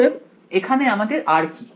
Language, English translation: Bengali, So, over here what is our r